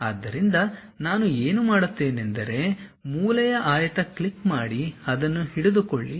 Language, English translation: Kannada, So, what I will do is click corner rectangle, then click means click, hold it